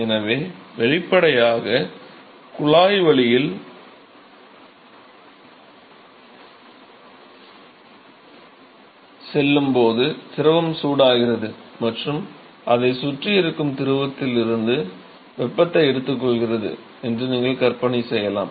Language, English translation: Tamil, So, obviously, you could imagine that the fluid is being heated up as it goes through the tube and it is taking up heat from the fluid which is present around it